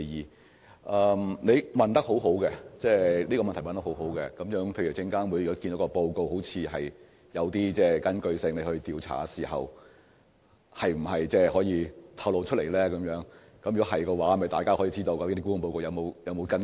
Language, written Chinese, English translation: Cantonese, 這是一項很好的補充質詢，就是當證監會認為沽空報告看似有據可依而展開調查時，是否可以向外透露，讓大家知道沽空報告是否有所依據。, This is indeed a very good supplementary question and that is if SFC carries out an investigation based on a seemingly plausible short seller report can it disclose certain information to inform people if the reports are substantiated?